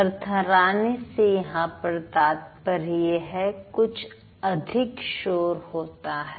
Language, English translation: Hindi, So, when I say vibration, that means you actually have some extra noise